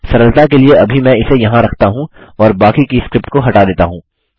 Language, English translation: Hindi, For simplicity I am just going to put it here and kill the rest of the script